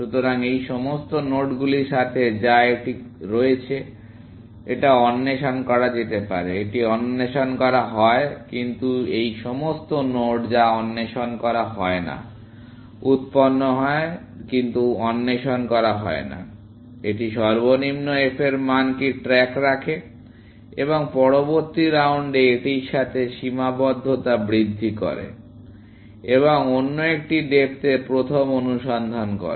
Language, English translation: Bengali, So, with all these nodes, which it has; this is explored; this is explored, but all these nodes, which is not explored, generated but not explored; it keeps track of a what is the lowest f value and increments the bound to that in the next round, and does another depth first search